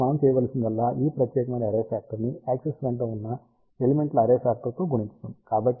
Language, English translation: Telugu, So, all we need to do it is we multiply this particular array factor with an array factor of the elements along the y axis